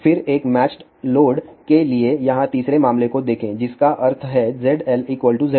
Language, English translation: Hindi, Then let just look at the third case here for a matched load which means Z L equal to Z 0